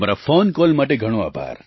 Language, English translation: Gujarati, Thank you very much for your phone call